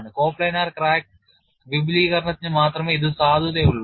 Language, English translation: Malayalam, This is valid only for coplanar crack extension